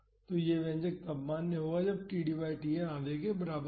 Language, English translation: Hindi, So, this expression is valid when td by Tn is equal to half